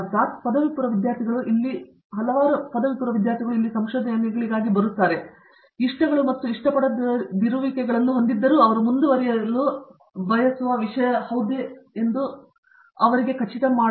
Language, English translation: Kannada, Understandably, undergraduate students who come here for research many of them, kind of have likes and dislikes but, they are not really sure whether this is something that they want to proceed